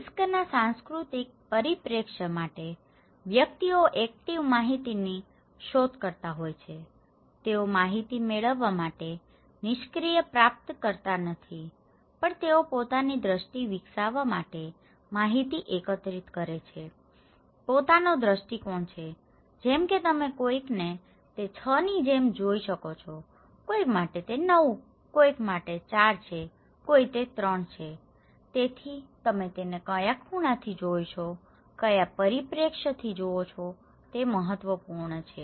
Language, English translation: Gujarati, For the cultural perspective of risk, individuals are active information seeker, they are not the passive recipient of information but they also collect informations to develop their own perception, own perspective okay, like you can see for someone it is 6, for someone it is 9, for someone it is 4, someone it is 3, so how you are looking at it from which angle, from which perspective, it matters